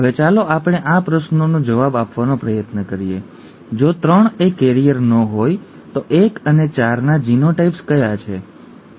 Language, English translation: Gujarati, Now let us try to answer this question; if 3 is not a carrier what are the genotypes of 1 and 4